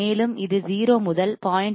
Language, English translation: Tamil, And it is constant from 0 to 0